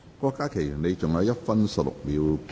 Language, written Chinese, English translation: Cantonese, 郭家麒議員，你還有1分16秒答辯。, Dr KWOK Ka - ki you still have 1 minute 16 seconds to reply